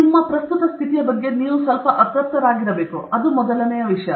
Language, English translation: Kannada, The first thing is you should be somewhat unhappy about your current state